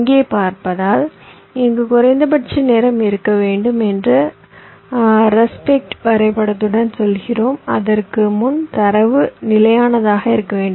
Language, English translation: Tamil, so here we are saying in there, with respect diagram, that there must be a minimum time here before which the data must be stable